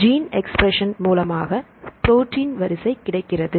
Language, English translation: Tamil, So, you can go to the gene expression and finally, we get the protein sequence